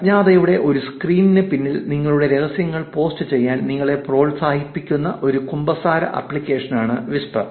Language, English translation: Malayalam, Whisper is a confessional app that encourages you to post your secrets behind a screen of anonymity